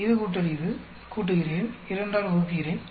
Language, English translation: Tamil, This plus this, add up, divide it by 2